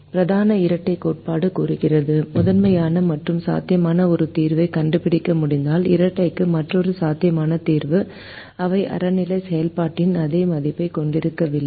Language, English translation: Tamil, the main duality theorem says: if i am able to find a feasible solution to the primal and another feasible solution to the dual, they may not have the same value of the objective function